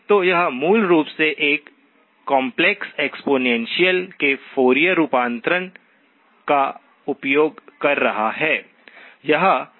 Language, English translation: Hindi, So this one basically using the Fourier transform of a complex exponential